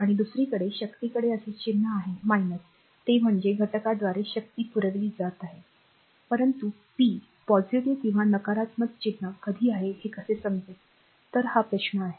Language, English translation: Marathi, And if on the other hand the power has a minus sign right that is power is being supplied by the element so, but, but how do we know when the power has a positive or a negative sign right; so, this is the question